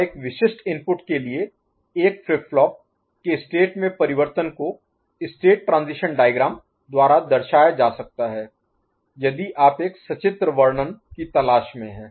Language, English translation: Hindi, And, the change in state of a flip flop for a specific input can be represented by state transition diagram when if you look for a pictorial description